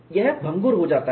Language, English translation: Hindi, It becomes brittle